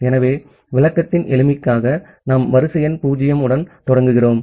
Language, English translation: Tamil, So, just for simplicity of explanation we are starting with sequence number 0